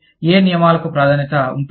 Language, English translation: Telugu, Which rules will take precedence